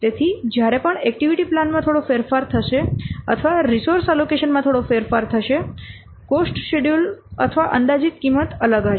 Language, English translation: Gujarati, So, whenever there will be some change in the activity plan or some change in the resource allocation, the cost schedule or the estimated cost will be different